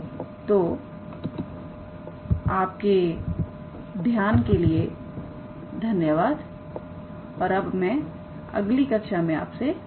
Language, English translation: Hindi, So thank you for attention and I look forward to your next class